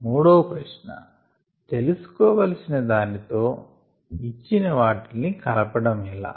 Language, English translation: Telugu, the third question: how to connect what is needed to what is given